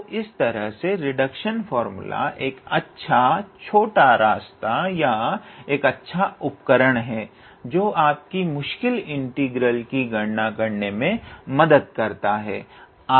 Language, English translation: Hindi, So, in a way a reduction formula is a nice shortcut or a nice tool that will help you calculate those difficult integral